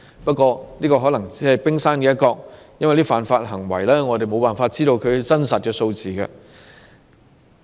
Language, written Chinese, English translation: Cantonese, 不過，這可能只是冰山一角，因為對於這些犯法行為，我們沒有辦法確知真實數字。, However the figure may only represent the tip of an iceberg because we can in no way grasp the actual number of such offending cases